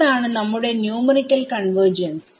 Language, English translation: Malayalam, So, that is our numerical convergence right